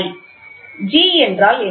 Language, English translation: Tamil, What is G